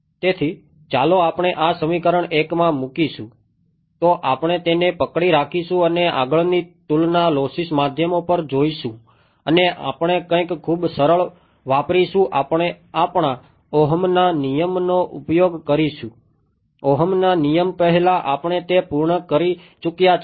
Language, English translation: Gujarati, So, when say let us just put this equation 1 we will put it on hold and we will see the comparison next look at lossy media and we will use something very simple we will use our Ohm’s law we have already done that before Ohm’s law is